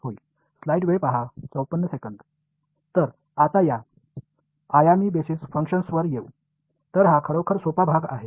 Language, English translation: Marathi, So, now coming to one dimensional basis functions so, this is really easy part